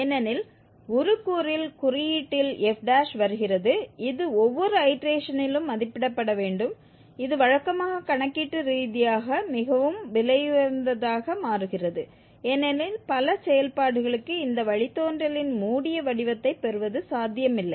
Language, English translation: Tamil, Disadvantage of evaluating f prime because in the formulation, in the denominator f prime is coming which has to be evaluated at every iteration and this becomes usually computationally very expensive because for many functions getting a closed form of this derivative is not possible